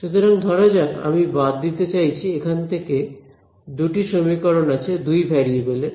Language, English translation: Bengali, So, lets say I want to eliminate from here there are two equations in two variables right what are the variables